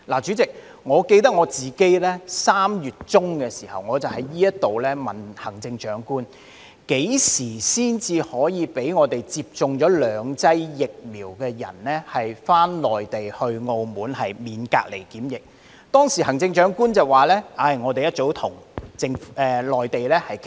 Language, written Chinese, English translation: Cantonese, 主席，我記得自己3月中在此詢問行政長官，何時才可讓接種了兩劑疫苗的人士往內地和澳門時免受隔離檢疫，當時行政長官說政府早已開始與內地部門商討，仍在商討中。, President I recall putting a question to the Chief Executive here in mid - March as to when individuals having received two vaccine doses can be exempt from quarantine for travelling to the Mainland and Macao . At the time the Chief Executive said that the Government had started discussion with the Mainland authorities long ago and the discussion was still ongoing